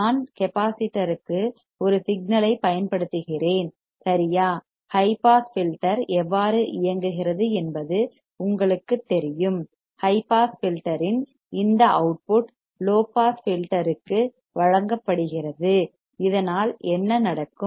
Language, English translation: Tamil, I apply a signal right to the capacitor and you know how the high pass filter works, this output of the high pass filter is fed to the low pass filter, and thus; what will happened